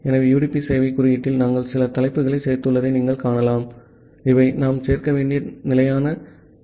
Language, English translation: Tamil, So, in the UDP server code, you can see that we have included some header, these are the kind of standard headers that we have to include